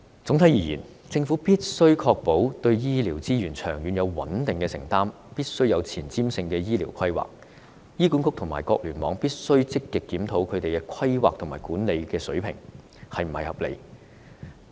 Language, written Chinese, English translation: Cantonese, 總體而言，政府必須確保對醫療資源有長遠而穩定的承擔、必須有前瞻性的醫療規劃，醫管局及各聯網也必須積極檢討規劃及管理水平是否合理。, To sum up the Government must ensure that it has a long - term and stable commitment to providing health care resources and making forward - looking health care planning . HA and various hospital clusters must also actively review if the planning and management standards are reasonable